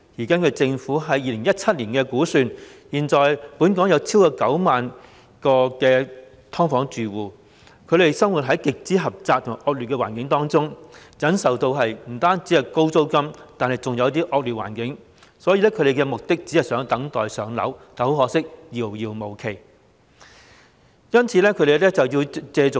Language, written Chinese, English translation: Cantonese, 根據政府在2017年的估算，現時本港有超過9萬名"劏房"住戶，他們生活於極為狹窄及惡劣的環境中，不僅要忍受高昂的租金，還有惡劣的環境，所以他們的目標只是等待"上樓"，但可惜遙遙無期，令他們須倚重私人市場。, According to the Governments estimate in 2017 there are currently over 90 000 households living in subdivided units in Hong Kong and the environment in which they are living is extremely cramped and poor . They have to endure not only the high rents but also the poor conditions so their aspiration is barely waiting to be allocated a public rental housing PRH unit . Unfortunately there is no definite date when such an aspiration will be realized so they have to rely on the private market